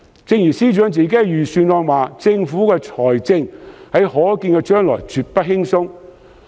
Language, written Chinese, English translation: Cantonese, 正如司長在預算案指出，政府的財政狀況在可見將來絕不輕鬆。, As pointed out by the Financial Secretary in the Budget the financial situation of the Government will be tough in the foreseeable future